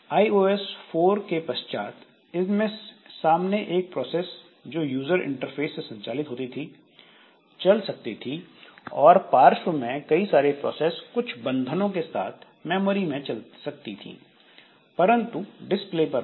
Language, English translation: Hindi, Starting with iOS 4, it provides for a single foreground process controlled via user interface and multiple background processes in memory running but not on the display and with limits